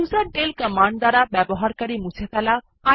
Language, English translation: Bengali, userdel command to delete the user account